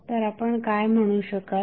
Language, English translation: Marathi, So, what you can say